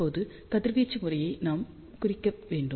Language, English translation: Tamil, Now, we need to plot the radiation pattern